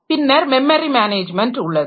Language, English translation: Tamil, Then memory management